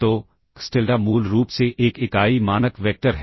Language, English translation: Hindi, So, xTilda is basically a unit norm vector